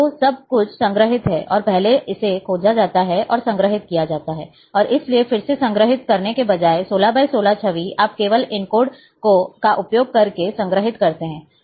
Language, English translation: Hindi, So, everything is stored, and first it is searched, and is stored, and therefore, instead of storing again, 16 by 16 image, you store only using these codes